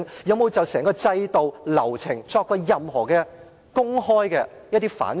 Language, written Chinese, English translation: Cantonese, 有否就整個制度流程作任何公開的反省？, Have they ever reflected openly on the entire system and procedures?